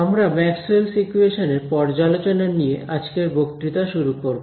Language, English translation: Bengali, We will start at today’s lecture with a review of Maxwell’s equations